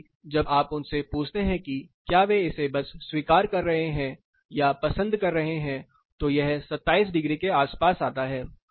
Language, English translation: Hindi, Whereas, when you ask them whether you can accept it or what you prefer, it comes to around 27 degrees